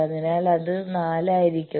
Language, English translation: Malayalam, So, that will be that it will be 4